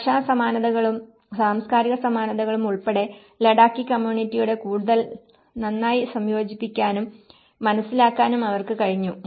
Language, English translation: Malayalam, And they could able to better integrate with the Ladakhi community and understand, so including the language similarities and the cultural similarities they were able to integrate better